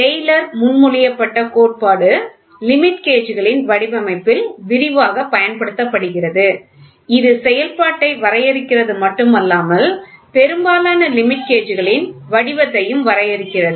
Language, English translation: Tamil, The theory proposed by Taylor which is extensively used in the designing of limit gauges, not only defines the function, but also defines the form of most limit gauges